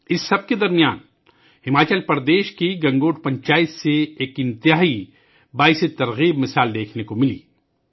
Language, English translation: Urdu, In the midst of all this, a great inspirational example was also seen at the Gangot Panchayat of Himachal Pradesh